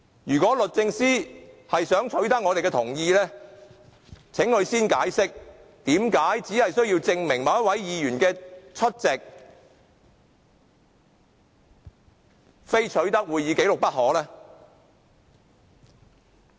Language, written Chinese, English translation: Cantonese, 如果律政司想取得我們的同意，請他先解釋何以只為證明某位議員的出席，也非要取得會議紀錄不可呢？, If DoJ would like to seek our consent would it please explain why it must obtain copies of proceedings and minutes for the mere purpose of proving the attendance of a certain Member?